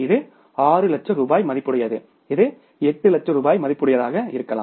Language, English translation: Tamil, It can be 6 lakh worth of rupees, it can be 8 lakh worth of rupees